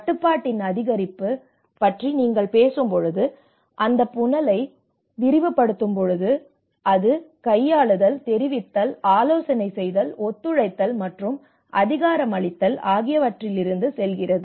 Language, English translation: Tamil, And whereas, when you talk about when you increase at control, when you widen that funnel, and that is where it goes from manipulate, inform, consult, collaborate and empower